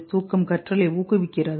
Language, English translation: Tamil, Does sleep promote learning